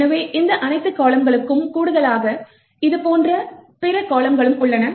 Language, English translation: Tamil, So, in addition to all of these columns, there are other columns like this